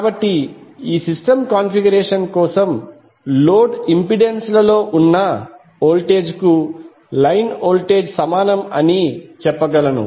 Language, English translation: Telugu, So we can say that line voltage are equal to voltage across the load impedances for this system configuration